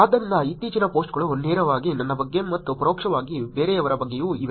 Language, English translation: Kannada, So, there are recent posts also which is directly about myself and indirectly about somebody else